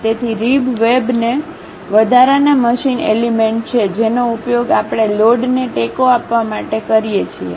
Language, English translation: Gujarati, So, ribs webs these are the additional machine elements, which we use it to support loads